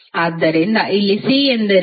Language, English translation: Kannada, So, here what is C